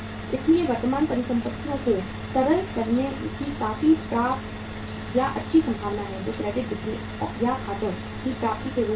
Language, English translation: Hindi, So there is a quite sufficient or the good possibility of say liquidating the current assets which are in the form of the credit sales or the accounts receivables